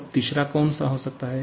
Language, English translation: Hindi, Now, what can be the third one